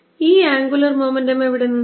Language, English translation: Malayalam, where did this angular momentum from